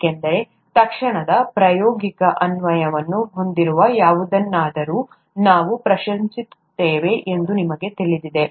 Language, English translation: Kannada, That is because you know we tend to appreciate something that has an immediate practical application